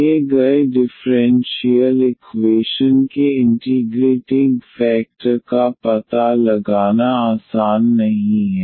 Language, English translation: Hindi, It is not in general easy to find the integrating factor of the given differential equation